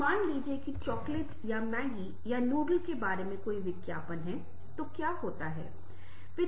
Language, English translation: Hindi, and suppose that there is ad about the chocolate or maggie or noodle